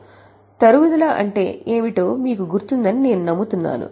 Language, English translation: Telugu, So, I hope you remember what is depreciation